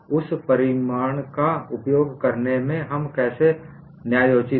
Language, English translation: Hindi, How are we justified in utilizing that result